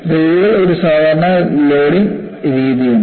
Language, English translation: Malayalam, And rails have a typical loading scenario